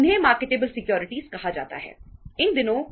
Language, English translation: Hindi, They are called as marketable securities